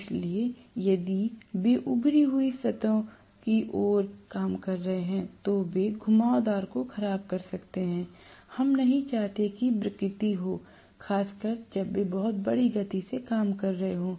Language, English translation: Hindi, So if they are acting towards the protruding surfaces they can deform the winding, we do not want the deformation to happen, especially when they are working at very large speeds